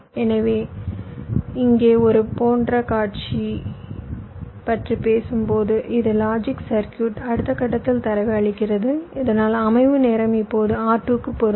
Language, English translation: Tamil, so here, when you are talking about a scenario like this, this logic circuit is feeding data to in next stage, so that setup time will apply to r two